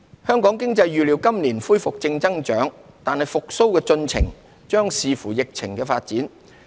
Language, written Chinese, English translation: Cantonese, 香港經濟預料今年恢復正增長，但復蘇進程將視乎疫情發展。, Hong Kongs economy is expected to resume positive growth this year but the progress of economic recovery will hinge on the development of the epidemic